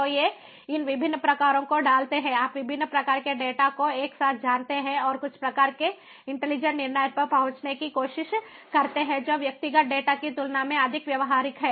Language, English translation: Hindi, so these, putting these different types of it, ah you know, different types of data together and trying some kind of you know, arriving at some kind of intelligent decision that is more insightful than the individual data